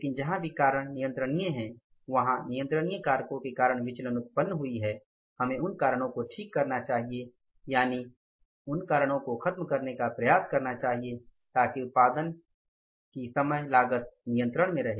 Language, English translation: Hindi, Variances have come up because of the controllable reasons we should fix up those reasons and try to means eliminate those causes so that overall cost of the production remains under control